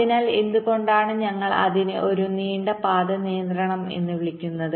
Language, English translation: Malayalam, so why do we call it a long, long path constraint